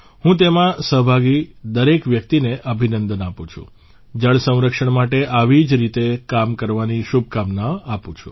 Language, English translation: Gujarati, I congratulate everyone involved in this and wish them all the best for doing similar work for water conservation